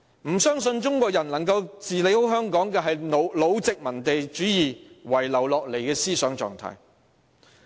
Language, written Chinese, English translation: Cantonese, 不相信中國人有能力管好香港，這是老殖民主義遺留下來的思想狀態。, Those who do not believe that the Chinese are able to govern Hong Kong well maintain a mindset left over by old colonialism